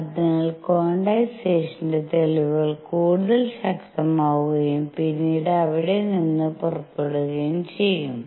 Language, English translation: Malayalam, So, that the evidence for quantization becomes stronger and stronger and then will take off from there